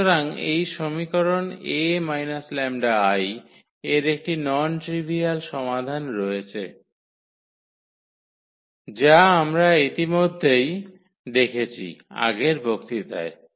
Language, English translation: Bengali, So, this equation A minus lambda I x has a non trivial solution which we have already studied in previous lecture